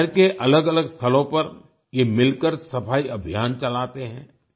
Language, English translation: Hindi, Together they run cleanliness drives at different places in the city